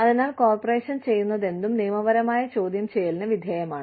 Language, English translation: Malayalam, So, anything that the corporation does, is liable to legal questioning